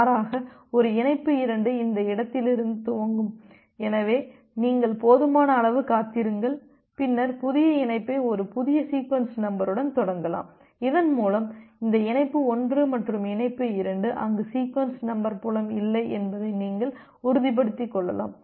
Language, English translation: Tamil, Rather a connection 2 will either initiate from this point, so you wait for sufficient amount of duration, and then initiate the new connection with a new sequence number so that you can become sure that this connection 1 and connection 2 there sequence number field doesn’t get overlap, doesn’t get overlap